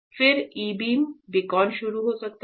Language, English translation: Hindi, Then we can start the E beacon